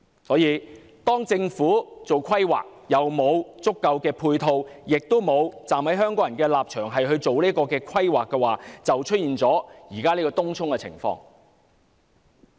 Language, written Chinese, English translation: Cantonese, 由於政府在規劃上沒有足夠配套，亦沒有從香港人的立場作出規劃，所以便出現東涌現時的情況。, Since the Government fails to provide adequate ancillary facilities in its planning and it has not done the planning from the perspective of the people of Hong Kong we are left to face the present situation in Tung Chung